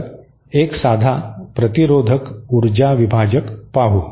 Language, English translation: Marathi, So, let us see a simple resistive power divider